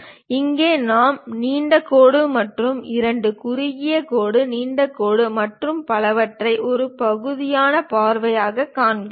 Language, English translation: Tamil, And here we are showing long dash followed by two short dashes, long dash and so on as a sectional view